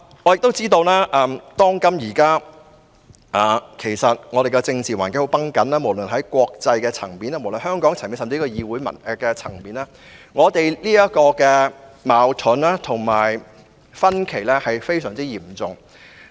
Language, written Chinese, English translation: Cantonese, 我知道現今的政治環境很繃緊，無論是在國際層面、香港層面，甚至議會層面，大家的矛盾及分歧均非常嚴重。, I know that the political environment is now very tense . There are serious differences and disputes in the international community in Hong Kong and even in the legislature